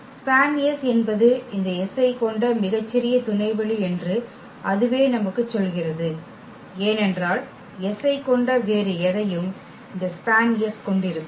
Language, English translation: Tamil, And that itself tell us that span S is the smallest subspace which contains this S because anything else which contains s will also contain this span S